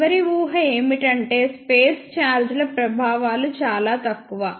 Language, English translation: Telugu, And the last assumption is effects of space charges are negligible